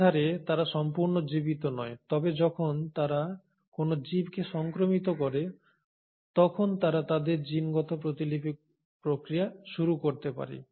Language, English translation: Bengali, So in a sense they are not completely living but when they infect a living organism, they then can initiate the process of their genetic replication